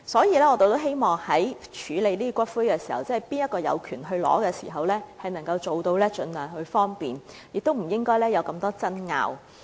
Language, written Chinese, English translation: Cantonese, 因此，我們希望在處理誰人有權領取骨灰的問題上，能夠盡量方便他們，減少爭拗。, Therefore in dealing with the issue of who has the right to claim for the return of ashes we should try our best to facilitate them and avoid disputes